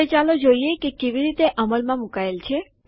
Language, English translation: Gujarati, Now let us see how it is implemented